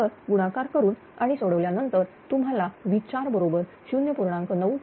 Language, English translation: Marathi, So, multiply and simplify all this things then what you will get V 4 is equal to 0